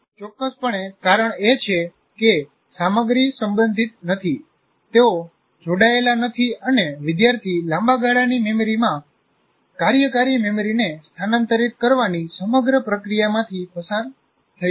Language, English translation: Gujarati, That is precisely because the content is not related, they are not connected, and the student hasn't gone through the entire process of transferring working memory to the long term memory